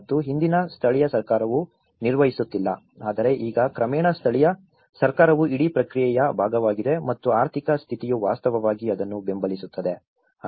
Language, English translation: Kannada, And earlier local government was not playing but now, gradually local government also have taken part of the whole process and the economic status is actually, supporting to that